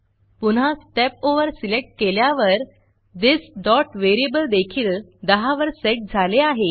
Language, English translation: Marathi, When I Step Over again, we can see that this.variable is also set to 10